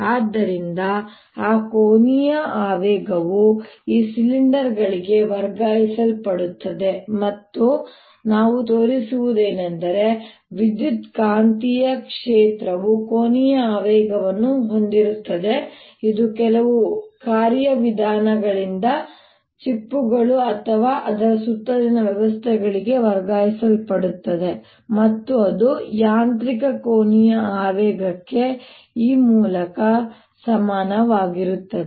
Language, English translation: Kannada, so therefore that angular momentum now transfer to the cylinders, and so what we have shown is that ah electromagnetic field carries the angular momentum which, by some mechanism, can be transferred to the shells or the systems around it, and that is equal to the mechanical angular momentum